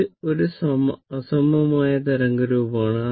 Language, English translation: Malayalam, So, this is unsymmetrical wave form